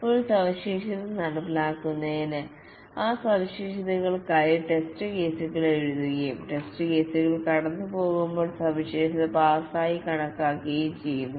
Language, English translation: Malayalam, Before a feature is implemented, the test cases are written for that feature and the feature is considered passed when it passes the test cases